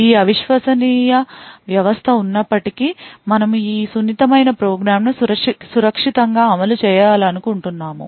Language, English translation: Telugu, In spite of this untrusted system we would want to run our sensitive program in a safe and secure manner